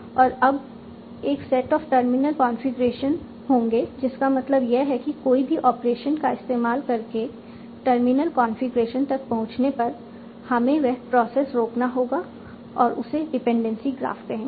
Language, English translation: Hindi, So, that means whenever you reach a terminal configuration via your operations, you will stop and you will call it as your dependency graph